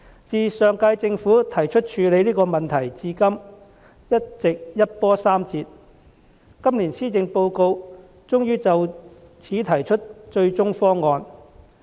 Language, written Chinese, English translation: Cantonese, 自上屆政府提出處理這個問題至今，一直一波三折，今年施政報告終於就此提出"最終方案"。, Since the last Government took the initiative to deal with this issue there have been a lot of twists and turns and it is not until this year that an ultimate proposal is introduced eventually in the Policy Address